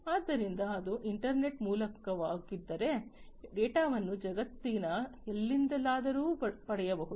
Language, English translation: Kannada, So, if it is through the internet, then, you know, the data can be accessed from anywhere in the world